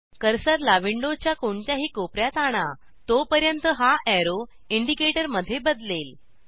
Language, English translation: Marathi, Take the cursor to any corner of the window till it changes to an arrow indicator